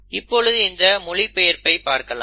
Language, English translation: Tamil, So let us look at translation